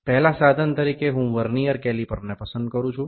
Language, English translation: Gujarati, The first instrument I will select here is Vernier Caliper